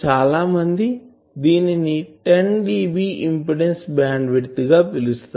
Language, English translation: Telugu, So, that will be called a 10dB frequency bandwidth